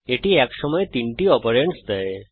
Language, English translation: Bengali, It Takes three operands at a time